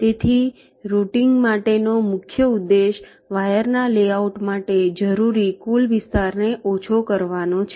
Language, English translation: Gujarati, so the main objective for routing is to minimize the total area required to layout the wires so broadly